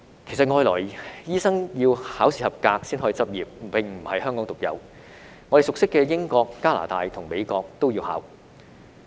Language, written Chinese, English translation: Cantonese, 其實外來醫生要考試及格才可以執業，並不是香港獨有，我們熟悉的英國、加拿大及美國都要考。, In fact it is not unique to Hong Kong that foreign doctors are required to pass the examination before they can practise as that is similarly required in the United Kingdom Canada and the United States that we are familiar with